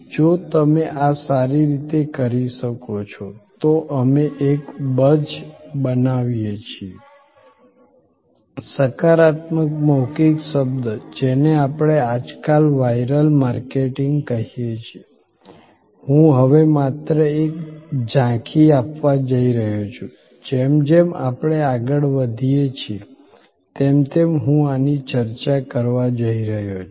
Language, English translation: Gujarati, If you are able to do this well, then we create a buzz, the positive word of mouth, which we are now a days, we are calling viral marketing, I am going to give only an overview now, I am going to discuss these aspects more and more as we proceed